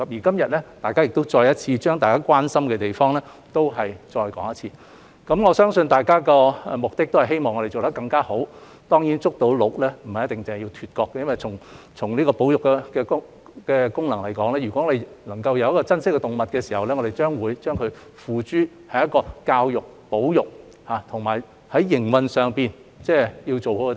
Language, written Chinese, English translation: Cantonese, 今日，大家亦再次重申大家關心的地方，我相信大家的目的是希望我們做得更加好，當然，"捉鹿"不一定要"脫角"，因為從保育的功能來說，我們對動物的珍惜會付諸於教育和保育，並會做好營運。, Today Members have reiterated their concerns and I believe it is because they want us to do better . Of course it may not be necessary to remove the antlers from the deer being caught . In fact as far as the conservation function is concerned we will show our care for animals through education and conservation and we will do a good job in operation